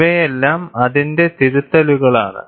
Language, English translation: Malayalam, And these are all corrections to it